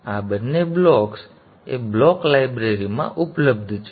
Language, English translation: Gujarati, Now these two blocks are available in the A block library